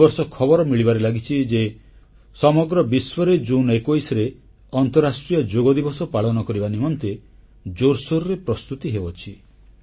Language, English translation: Odia, The news being received these days is that there are preparations afoot in the whole world to celebrate 21st June as International Yoga Day